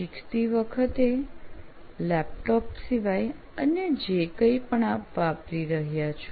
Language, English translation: Gujarati, Anything else that you are using while learning other than your laptop